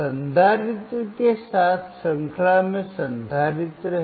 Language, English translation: Hindi, Capacitor is in series with resistor